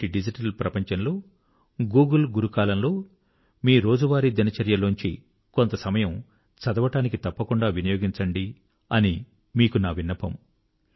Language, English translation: Telugu, I will still urge you in today's digital world and in the time of Google Guru, to take some time out from your daily routine and devote it to the book